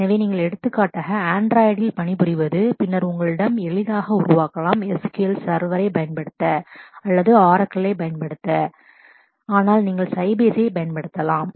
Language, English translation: Tamil, So, if you are for example, working on android, then you can easily make out that you do not have a choice to use SQL server or to use Oracle, but you can use Sybase